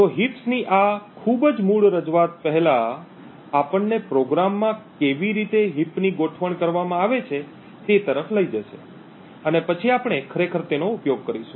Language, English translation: Gujarati, So, this very basic introduction to a heap exploit would first take us through how a heap is organized in the program and then we would actually use the exploit